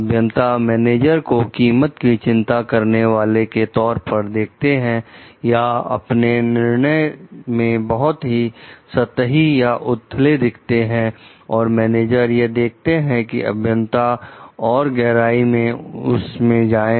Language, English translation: Hindi, The engineers were likely to see managers as more concerned about cost or more superficial in their judgment and the managers were will be the engineers is likely to go into too much detail